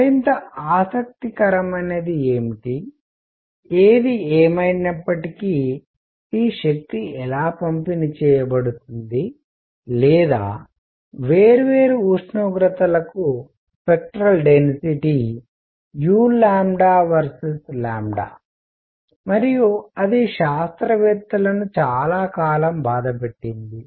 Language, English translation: Telugu, What is more interesting; however, is how is this energy distributed or the spectral density u lambda versus lambda for different temperatures and that is what bothered scientists for a long time